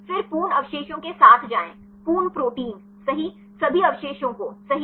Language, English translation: Hindi, Then go with the full residue, full proteins right all the residues right